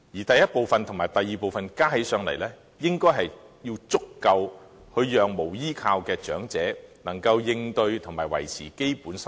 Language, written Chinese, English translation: Cantonese, 第一部分和第二部分的金額相加起來，須足以讓無依無靠的長者應付和維持基本生活。, The sum from the first and second part should be large enough to enable unsupported elderly people to meet and maintain basic daily needs